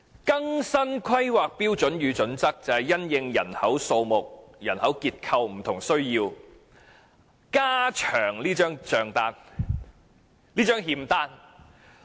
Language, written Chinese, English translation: Cantonese, 更新《規劃標準》就是因應人口數目、人口結構等不同需要，加長這張欠單。, In updating HKPSG more items will be added to this IOU to cater for the different needs of society in tandem with changes in our population size and demographic structure